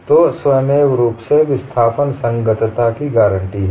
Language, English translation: Hindi, So, automatically the compatibility of displacement is guaranteed